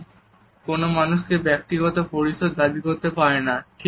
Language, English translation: Bengali, And the person cannot claim private space